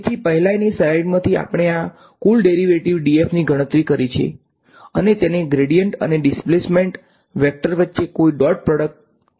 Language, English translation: Gujarati, So, from the previous slide we have calculated this total derivative d f and wrote it as a dot product between the gradient over here and the displacement vector over here